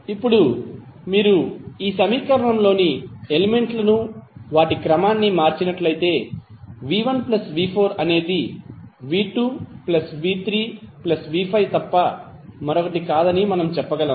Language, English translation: Telugu, Now if you rearrange the elements in this equation then we can say that v¬1¬ plus v¬4¬ is nothing but v¬2 ¬plus v¬3¬ plus v¬5 ¬